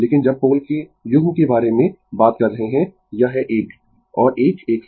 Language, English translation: Hindi, But when you are talking about pair of poles, it is 1 and 1 together